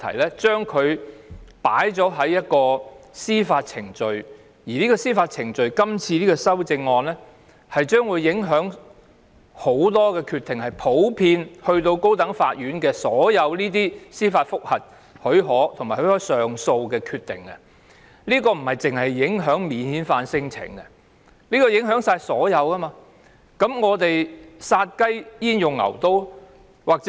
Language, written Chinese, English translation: Cantonese, 這項修正案修訂有關的司法程序，將會影響很多決定，包括由高等法院處理的司法覆核許可和上訴，不單影響免遣返聲請案件，還會影響所有案件。殺雞焉用牛刀？, Given that this amendment amends the relevant judicial process many other decisions including leave to apply for JR and appeal cases handled by the High Court will also be affected affecting not only non - refoulement cases but all other cases